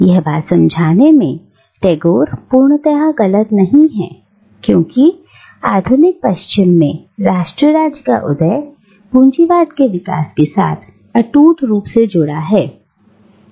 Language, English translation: Hindi, And in making this connection, Tagore is not entirely wrong because in the modern West the rise of nation state is inextricably connected with the development of capitalism